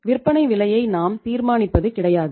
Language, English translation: Tamil, We donít determine the selling price